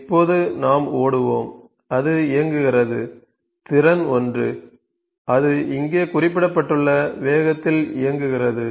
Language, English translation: Tamil, Now, let us run, it is running ok ,capacity one it is running in the speed that is mentioned here